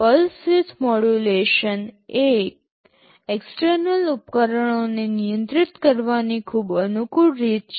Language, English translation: Gujarati, Pulse width modulation is a very convenient way of controlling external devices